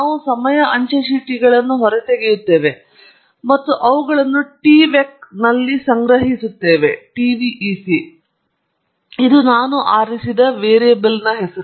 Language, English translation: Kannada, We extract the time stamps and collect them in the tvec – it’s just a variable name that I have chosen